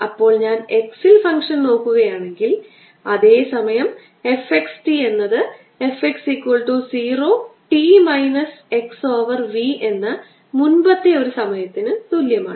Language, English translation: Malayalam, then if i am looking at function at x, the same time, it would be: f x t is equal to function at x, equal to zero at a previous time, p minus x over v